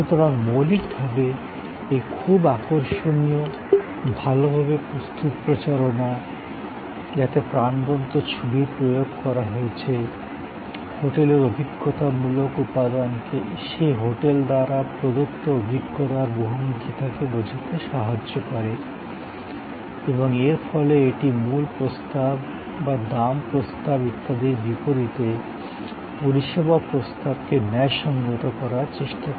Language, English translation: Bengali, So, fundamentally this very attractive, well prepared, campaign with vivid images convey the experiential element of the hotel, the versatility of experience offered by that hotel and thereby it tries to justify the service proposition as versus it is value proposition, price proposition and so on